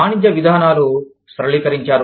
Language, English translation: Telugu, The trade policies have opened up